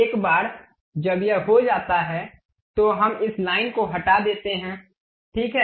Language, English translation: Hindi, Once it is done we remove this line, ok